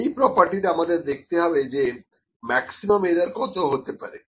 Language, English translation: Bengali, This is the property that we need to see that what could be the maximum error